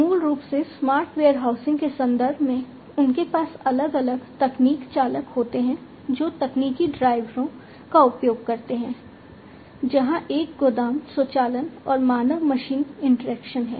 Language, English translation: Hindi, In the context of the smart warehousing basically they have different tech drivers that are used technological drivers, where one is the warehouse automation and the human machine interaction